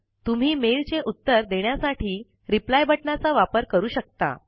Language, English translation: Marathi, You can reply to this mail, using Reply button